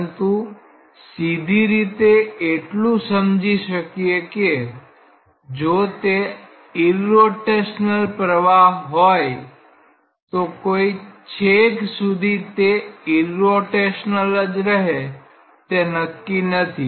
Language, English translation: Gujarati, But physically we have to at least appreciate that, if it was irrotational there is no guarantee that eternally it will remain irrotational